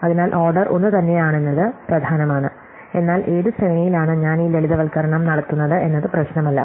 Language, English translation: Malayalam, So, it is important that the order is the same, but within that in which sequence I do this simplification does not matter